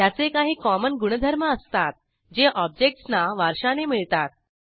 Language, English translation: Marathi, It has the common qualities that all the objects can inherit